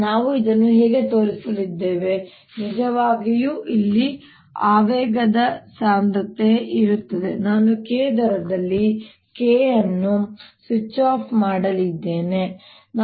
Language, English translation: Kannada, how we going to show that this is really the momentum density contain here is: i am going to switch off k at rate, k dot